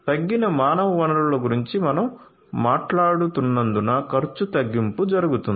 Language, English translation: Telugu, Reduction in cost can happen because we are talking about reduced human resources